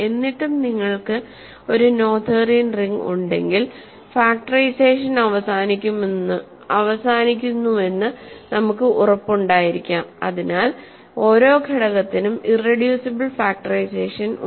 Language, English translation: Malayalam, But still if you have a Noetherian ring we can be sure that factorization terminates and hence every element has a irreducible factorization